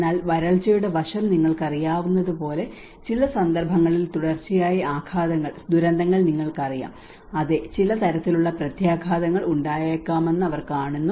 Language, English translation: Malayalam, But in certain occasions like you know the drought aspect you know certain continuous disaster, they see that yes there is some kind of impacts may start